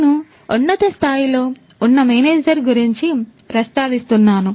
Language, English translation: Telugu, So, manager at a high level I am mentioning